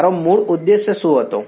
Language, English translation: Gujarati, What was my original objective